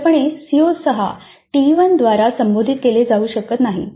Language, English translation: Marathi, Evidently CO6 cannot be addressed by T1